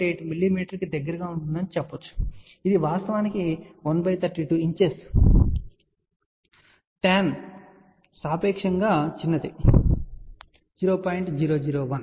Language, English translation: Telugu, 8 mm which actually corresponds to 1 by 32 inches tan delta is relatively small 0